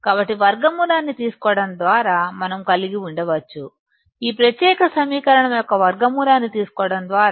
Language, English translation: Telugu, So, we can have by taking square root; by taking square root of this particular equation